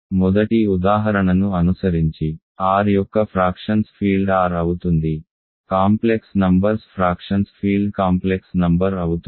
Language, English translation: Telugu, And following the first example the field of fractions of R is R, field of fractions of complex numbers is complex numbers, field of fractions of Q is Q